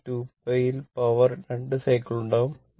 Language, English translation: Malayalam, But in 2 pi, power will make 2 cycles